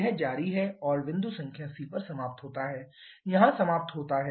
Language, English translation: Hindi, It continues and finishes at point number c finishes here